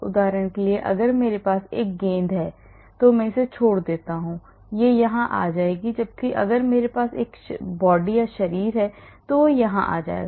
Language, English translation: Hindi, for example if I have a ball I just drop it it will come here whereas if I have a body here it will come here